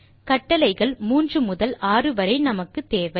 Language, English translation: Tamil, The commands from third to sixth are required